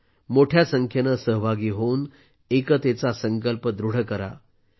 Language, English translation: Marathi, You should also join in large numbers and strengthen the resolve of unity